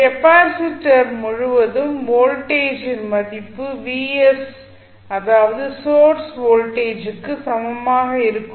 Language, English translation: Tamil, The value of voltage across capacitor would be equal to the voltage vs that is the source voltage